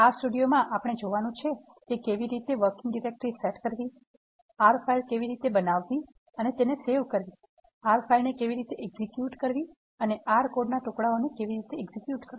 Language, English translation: Gujarati, In R studio, we are going to look how to set the working directory, how to create an R file and save it, how to execute an R file and how to execute pieces of R code